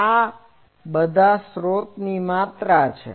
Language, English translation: Gujarati, This is all source quantities